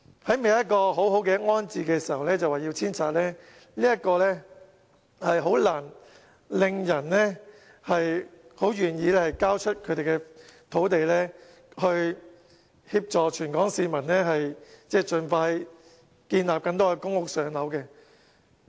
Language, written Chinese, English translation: Cantonese, 在未有一個妥善安置方案時，政府便要他們遷拆，這很難令人願意交出土地，以協助全港市民，盡快興建更多公屋讓輪候人士"上樓"。, If the Government goes ahead with demolition before working out a proper rehousing programme it will be difficult to persuade residents to vacate their lands for the purpose of constructing more public housing units to enable more waiting applicants to get a unit as soon as possible